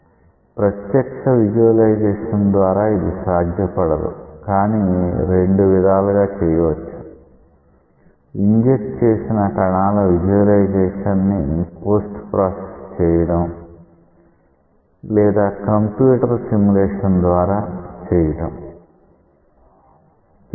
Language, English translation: Telugu, So, it is not a direct visualization, but you may do it in two ways by post processing the visualization of the particles which are injected into the fluid or by doing a computer simulation